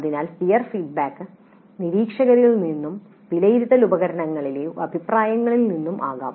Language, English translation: Malayalam, So the peer feedback can be both from observers as well as comments on assessment instruments